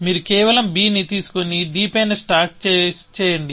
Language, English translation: Telugu, You just pick up b and stack on to d